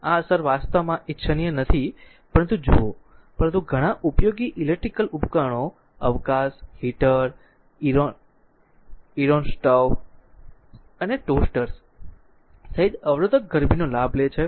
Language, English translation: Gujarati, This effect actually is not desirable, but look, but many useful electrical appliances take advantage of resistance heating including space heaters, irons stoves and toasters right